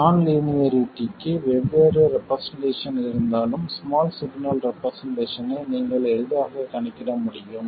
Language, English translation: Tamil, Even if there is a different representation of the non linearity, you should be able to easily calculate the small signal representation